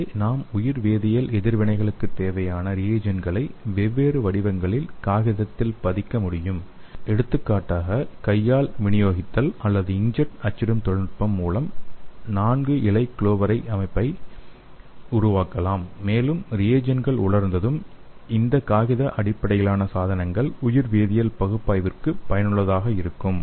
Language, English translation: Tamil, And here the reagents required for bio chemical reactions can be immobilized on the paper with different patterns for example we can make a four leaf clover by hand dispensing or inkjet printing technology and when the reagents are dried the paper based devices can be useful for bio chemical analysis